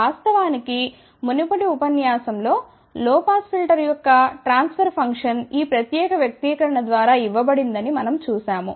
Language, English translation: Telugu, In fact, we had seen in the previous lecture, that a transfer function of a low pass filter is given by this particular expression